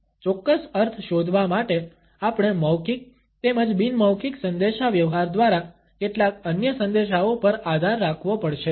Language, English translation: Gujarati, In order to find out the exact meaning we have to rely on certain other messages by verbal as well as non verbal communication